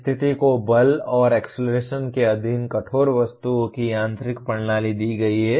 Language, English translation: Hindi, The condition is given mechanical system of rigid objects subjected to force and acceleration